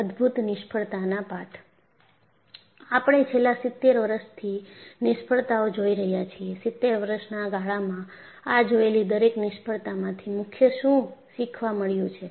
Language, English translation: Gujarati, So, we had seen failures for the last70 years or so, in a span of 70 years, and what werethe main lessons from each one of these failure